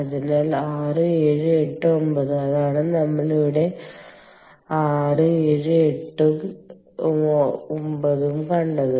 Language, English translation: Malayalam, so six, seven, eight, nine, and which is what we have seen here, six, seven, eight and nine clear